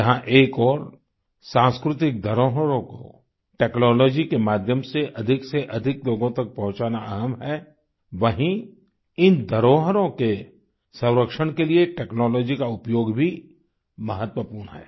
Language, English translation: Hindi, On the one hand it is important to take cultural heritage to the maximum number of people through the medium of technology, the use of technology is also important for the conservation of this heritage